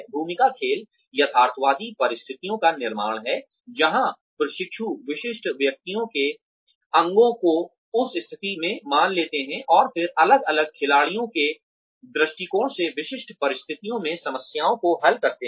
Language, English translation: Hindi, Role playing is the creation of realistic situations, where trainees assume the parts of specific persons in that situation, and then solve problems, from the perspective of different players, in specific situations